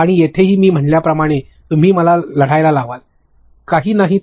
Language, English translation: Marathi, And there also like I said you can get me fight, if nothing else